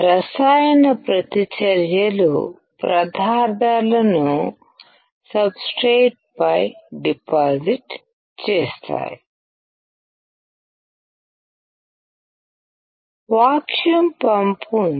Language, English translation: Telugu, The chemical reactions will deposit the materials on the substrate